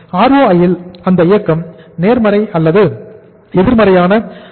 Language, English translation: Tamil, That movement in the ROI will be positive or negative